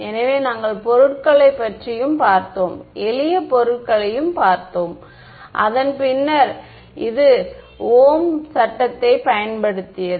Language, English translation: Tamil, So, we looked at materials, we looked at simple materials which used Ohm’s law right and after that